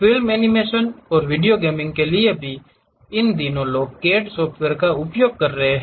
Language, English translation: Hindi, Even for film animations and video games, these days people are using CAD software